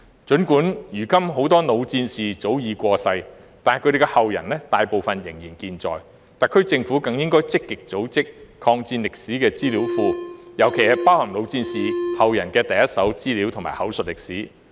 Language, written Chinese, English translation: Cantonese, 儘管如今很多老戰士早已過世，但他們的後人大部分仍健在，特區政府應更積極組建抗戰歷史資料庫，尤其是包含老戰士後人的第—手資料和口述歷史。, Although many veterans have passed away long time ago most of their descendants are still alive . The SAR Government should play a more active role in establishing a database of the history of the War of Resistance which should include in particular first - hand information and oral history provided by the descendants of veterans